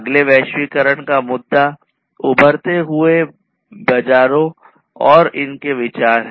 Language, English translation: Hindi, The next one the next globalization issue is the emerging markets and its consideration